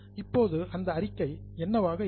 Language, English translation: Tamil, Now what that statement will be